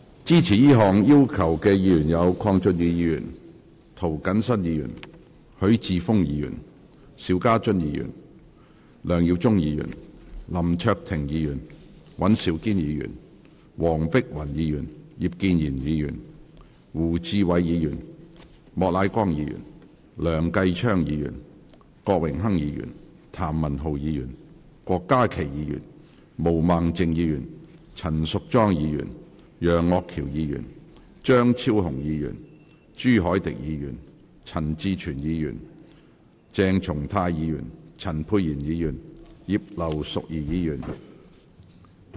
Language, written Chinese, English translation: Cantonese, 支持這項要求的議員有：鄺俊宇議員、涂謹申議員、許智峯議員、邵家臻議員、梁耀忠議員、林卓廷議員、尹兆堅議員、黃碧雲議員、葉建源議員、胡志偉議員、莫乃光議員、梁繼昌議員、郭榮鏗議員、譚文豪議員、郭家麒議員、毛孟靜議員、陳淑莊議員、楊岳橋議員、張超雄議員、朱凱廸議員、陳志全議員、鄭松泰議員、陳沛然議員及葉劉淑儀議員。, Members who support this request are Mr KWONG Chun - yu Mr James TO Mr HUI Chi - fung Mr SHIU Ka - chun Mr LEUNG Yiu - chung Mr LAM Cheuk - ting Mr Andrew WAN Dr Helena WONG Mr IP Kin - yuen Mr WU Chi - wai Mr Charles Peter MOK Mr Kenneth LEUNG Mr Dennis KWOK Mr Jeremy TAM Dr KWOK Ka - ki Ms Claudia MO Ms Tanya CHAN Mr Alvin YEUNG Dr Fernando CHEUNG Mr CHU Hoi - dick Mr CHAN Chi - chuen Dr CHENG Chung - tai Dr Pierre CHAN and Mrs Regina IP